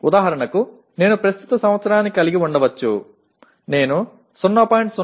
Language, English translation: Telugu, For example, I may have the present year, I have attained 0